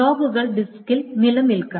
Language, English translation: Malayalam, The logs must be persisted in the disk